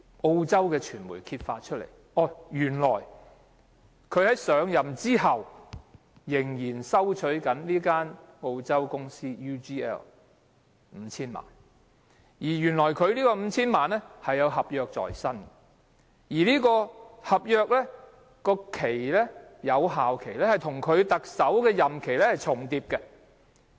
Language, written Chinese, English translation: Cantonese, 澳洲傳媒揭發，原來他在上任後仍然收取澳洲公司 UGL 5,000 萬元，原因是他有合約在身，而這份合約的有效期與他的特首任期是重疊的。, The Australian media uncovered that after LEUNG Chun - ying assumed office as the Chief Executive he received HK50 million from the Australian corporation UGL . The reason was that he was a party to a contract and the effective period of which overlapped with his tenure as the Chief Executive